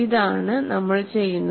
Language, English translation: Malayalam, So, this is what we do